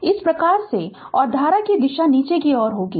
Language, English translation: Hindi, In that way the and the direction of the current will be downwards